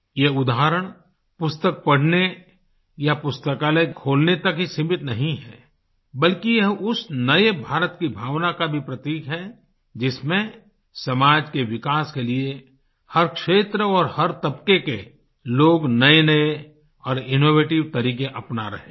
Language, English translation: Hindi, These examples are not limited just to reading books or opening libraries, but are also symbolic of that spirit of the New India, where in every field, people of every stratum are adopting innovative ways for the development of the society